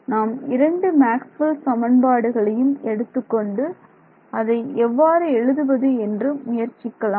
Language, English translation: Tamil, So, let us let us write it out so, let us take both are Maxwell’s equations and try to write out what happenes right